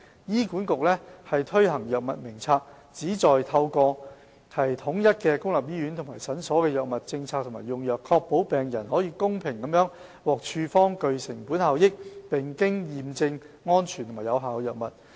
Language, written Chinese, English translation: Cantonese, 醫管局推行藥物名冊，旨在透過統一公立醫院和診所的藥物政策和用藥，確保病人可公平地獲處方具成本效益，並經驗證安全和有效的藥物。, The HA Drug Formulary HADF was put in place with a view to ensuring equitable access by patients to cost - effective drugs of proven safety and efficacy through standardization of policies on drugs and drug utilization in public hospitals and clinics